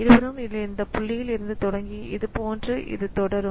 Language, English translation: Tamil, So, both of them will start from this point and continue like this